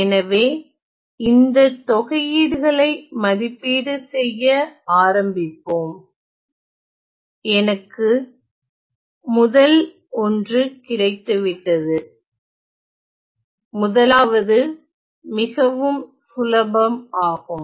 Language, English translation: Tamil, So, then let us start evaluating the integrals, I get the first one; the first one is quite easy